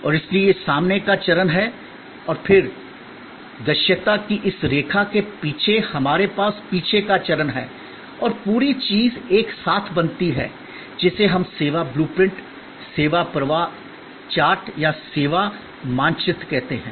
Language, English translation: Hindi, And therefore, this is the front stage and then, behind this line of visibility, we have the back stage and the whole thing together is creates the, what we call the service blue print, the service flow chat or the service map